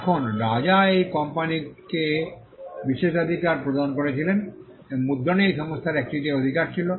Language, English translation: Bengali, Now, the king granted the privilege to this company and this company had a monopoly in printing